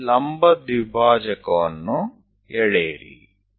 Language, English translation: Kannada, Draw a perpendicular bisector